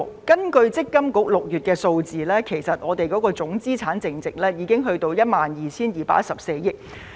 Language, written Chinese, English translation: Cantonese, 根據強制性公積金計劃管理局6月份數字，總資產淨值已達到 12,214 億元。, According to the June statistics released by the Mandatory Provident Fund Schemes Authority MPFA the total MPF assets amounted to 1.2214 trillion